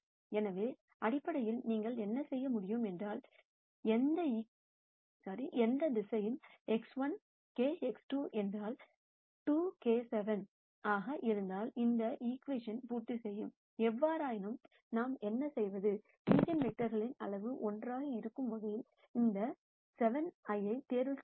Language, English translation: Tamil, So, basically what you could do is, any vector which is such that if x 1 is k x 2 is 2 k by 7 would satisfy this equation; however, what we do is, we choose this k in such a way that the magnitude of the eigenvector is 1